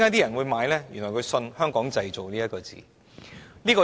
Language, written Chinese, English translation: Cantonese, 因為他們相信"香港製造"這幾個字。, Because they believe in the words Made in Hong Kong